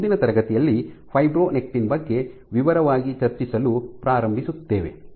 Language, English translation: Kannada, We will start discussing in detail about fibronectin in next class